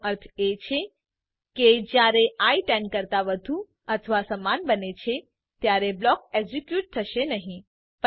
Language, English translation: Gujarati, That means when i becomes more than or equal to 10, the block is not executed